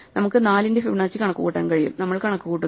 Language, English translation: Malayalam, So, we can compute Fibonacci of 4, so we compute